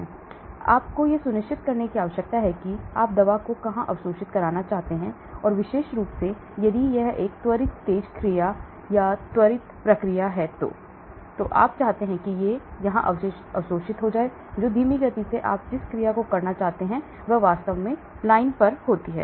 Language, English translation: Hindi, So you need to design depending upon where you want the drug to get absorbed and especially if it is a quick fast acting or quick acting you want it to get absorbed here, slow acting you want to get absorbed down the line and so on actually